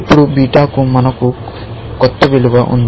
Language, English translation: Telugu, Now, we have a new value for beta